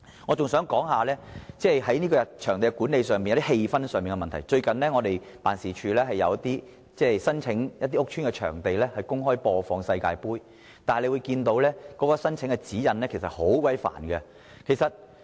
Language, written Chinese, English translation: Cantonese, 我還想提出場地管理及氣氛的問題，最近我們的辦事處申請在一些屋邨場地公開播放世界盃，但原來申請指引很繁複。, I would also like to talk about the venue management and the sports atmosphere . My office has recently applied for broadcasting World Cup matches at some housing estates . The application procedures are really complicated